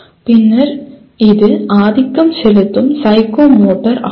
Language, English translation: Tamil, And then, this is dominantly psychomotor